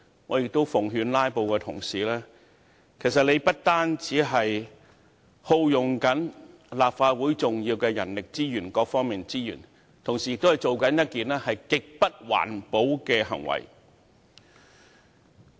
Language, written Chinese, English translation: Cantonese, 我在此奉勸"拉布"的同事，他們的行為不單耗用立法會重要的人力資源及各方面的資源，同時亦是一種極不環保的行為。, Here let me exhort the filibustering colleagues to stop for their behaviour does not only consume the important manpower resources and various resources of the Legislative Council but it is also most non - environmentally friendly behaviour